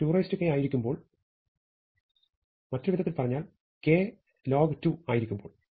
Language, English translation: Malayalam, So, when does this become 1, when n is 2 to the k in other words when k is log 2 of n